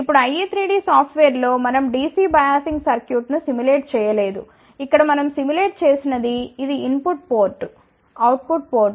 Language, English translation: Telugu, Now, in the I 3 D software we have not simulated the DC biasing circuit all we have simulated here is this is the input port output port